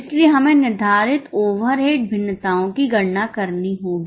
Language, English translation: Hindi, So, we will have to compute the fixed overhead variances